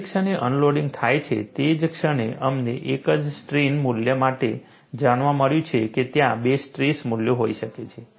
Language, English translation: Gujarati, The moment unloading takes place, we found for a single strain value, there could be two stress values and you need to keep track of the loading history